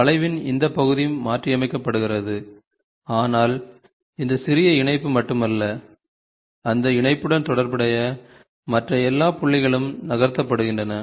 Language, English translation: Tamil, So, this portion of the curve is tweaked, but it is not only this small patch, but corresponding to those patch all other points are are also moved